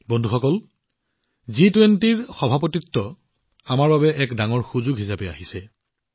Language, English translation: Assamese, Friends, the Presidency of G20 has arrived as a big opportunity for us